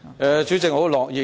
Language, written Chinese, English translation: Cantonese, 代理主席，我很樂意解釋。, Deputy President I am happy to elaborate on it